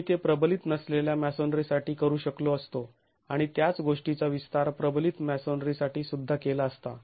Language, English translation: Marathi, We could have that done for unreinforced masonry and extend the same thing to reinforce masonry as well